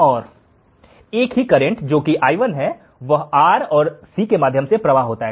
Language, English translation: Hindi, The same current i1 flows through R and C